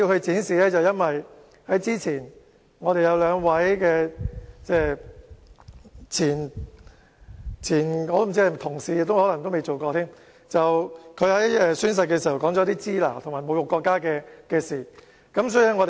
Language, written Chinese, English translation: Cantonese, 這是因為之前有兩位前議員——我也不知道他們曾否算是議員——在宣誓時說出"支那"和侮辱國家的言論。, Because two former Members―I do not know if they can be regarded as having served as Members―had used the term Shina and made humiliating remarks about the country during oath - taking